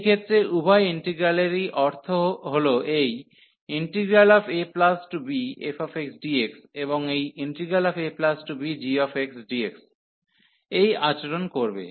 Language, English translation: Bengali, So, in that case both the integrals meaning this a to b this f x dx, and this a to be g x dx will behave the same